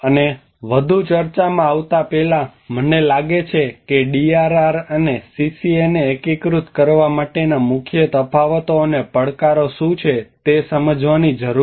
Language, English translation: Gujarati, And before getting into any further discussion, I think we need to understand what are the major differences and challenges for integrating DRR and CCA